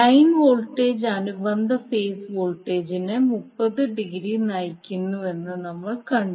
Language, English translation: Malayalam, We saw that the line voltage leads the corresponding phase voltage by 30 degree